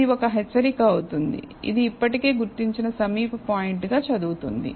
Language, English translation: Telugu, It will be a warning, which reads as nearest point already identified